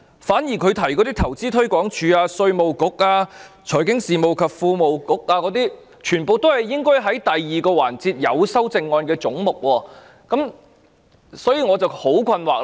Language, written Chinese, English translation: Cantonese, 反之，他提及的投資推廣署、稅務局、財經事務及庫務局，全包括在第二個環節所涵蓋而有修正案的總目中，這令我感到困惑。, Indeed what he has mentioned namely Invest Hong Kong the Inland Revenue Department and the Financial Services and the Treasury Bureau are heads with amendment covered by the 2 session . I am puzzled by this